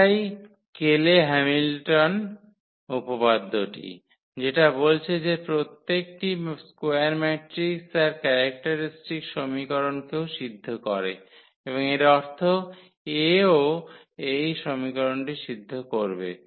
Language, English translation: Bengali, So, that this Cayley Hamilton theorem says that every square matrix also satisfies its characteristic equation and that means, that A will also satisfy this equation